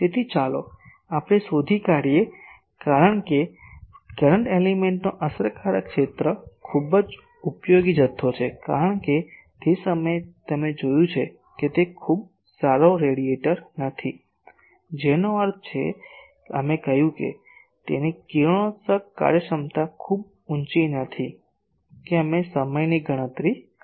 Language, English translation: Gujarati, So, let us find that because effective area of a current element is a very useful quantity, because that time you have seen that it is not a very good radiator that means, we said that its radiation efficiency is not very high that we calculated that time